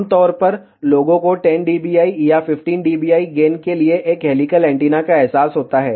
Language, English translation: Hindi, Generally, people realize a helical antenna for 10 dBi or 15 dBi gain